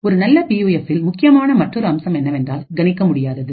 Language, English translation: Tamil, Another feature which is important in a good PUF is the unpredictability